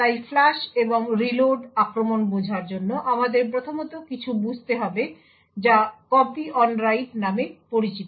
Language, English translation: Bengali, So to understand the flush and reload attacks we would 1st need to understand something known as Copy on Write